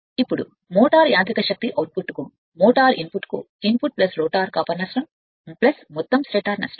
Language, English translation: Telugu, Now input to the motor input to the motor mechanical power output plus the rotor couple loss plus the total stator loss